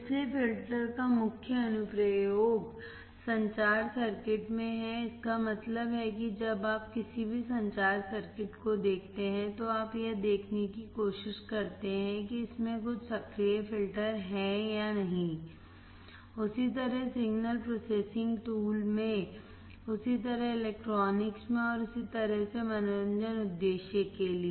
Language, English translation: Hindi, So, main application of filters are in communication circuits so that means, when you see any communication circuit, you try to see whether it has some active filters or not, same way signal processing tools, same way in electronics and same way for entertainment purpose